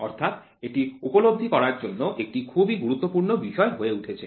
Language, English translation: Bengali, So, this topic becomes very important for all those things to realize